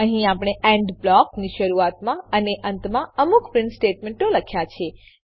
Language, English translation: Gujarati, Here we have printed some text before and after END blocks